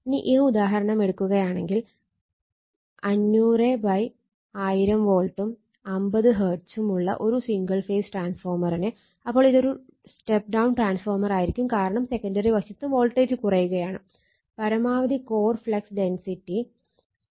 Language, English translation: Malayalam, So, now if you take this example single phase 500 / 1000 volt 50 hertz then it will also a step down transformer because voltage is getting reduced on the secondary side has a maximum core flux density is 1